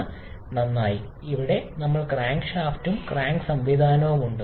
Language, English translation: Malayalam, We have the crankshaft here and the crank mechanism